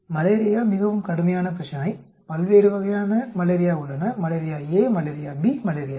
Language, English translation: Tamil, Malaria is a very serious problem, there are different types of malaria malaria A, malaria B, malaria C